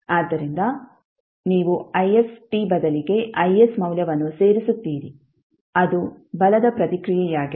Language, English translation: Kannada, So you will add the value of I s in place of the ift that is the force response